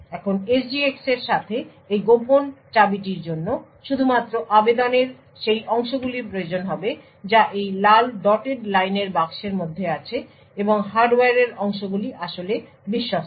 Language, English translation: Bengali, Now with SGX this secret key would only require that portions in the application which is boxed in this red dotted line and portions in the hardware is actually trusted